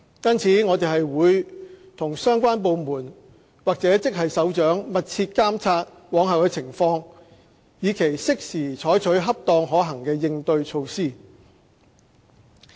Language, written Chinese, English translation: Cantonese, 因此，我們會與相關部門或職系首長密切監察往後的情況，以期適時採取恰當可行的應對措施。, For that reason we will closely monitor the future movement with the relevant heads of departments or heads of grades so as to take timely appropriate and feasible measures to cope with them